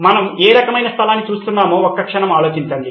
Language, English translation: Telugu, Take a moment to think about what kind of place are we looking at